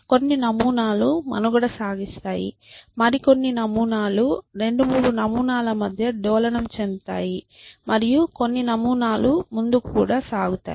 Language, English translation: Telugu, And some patterns survives some patters oscillate between 2 3 patterns and some patterns even move forward